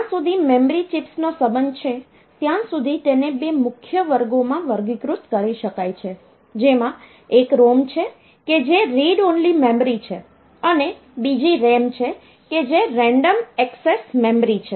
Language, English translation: Gujarati, As far as memory chips are concerned so they can be classified into two major classes: one is the ROM that is read only memory, another is RAM which is random access memory